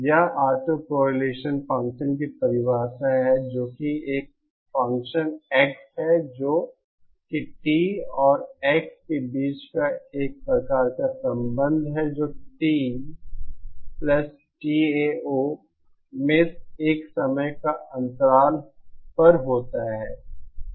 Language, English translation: Hindi, This is the definition of autocorrelation function which is the same function X which is a kind of relationship between t and x at T+ Tao that is at a time spacing